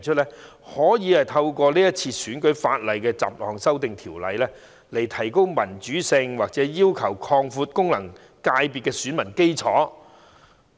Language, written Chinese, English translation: Cantonese, 有議員表示希望透過《條例草案》，提高民主性或擴大功能界別的選民基礎。, Some Members indicated that they wish to enhance the level of democracy or broaden the electorate of FCs through the Bill